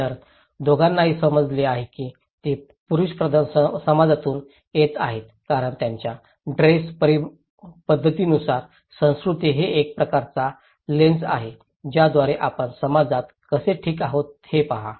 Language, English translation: Marathi, So, both of them is perceiving that they are coming from a male dominated society because based on their dress pattern, okay so, culture is a kind of lens through which you look into the society how it is okay